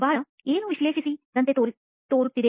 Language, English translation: Kannada, Looks like analysing something